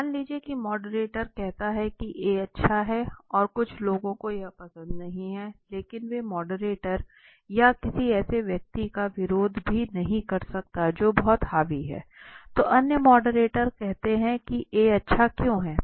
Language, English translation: Hindi, Suppose the moderators say that A is good right and some people do not like it but they cannot even oppose the moderator or somebody who is vey dominating, so the other moderators say why is A good